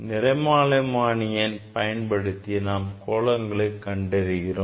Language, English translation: Tamil, Spectrometer we are using for measuring the angle